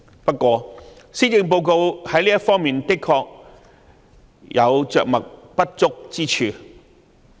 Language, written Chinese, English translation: Cantonese, 不過，施政報告在這方面確實有着墨不足之處。, However the coverage on this respect in the Policy Address is indeed inadequate